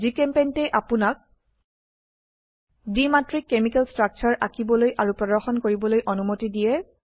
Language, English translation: Assamese, GChemPaint allows you to, Draw and display two dimensional chemical structures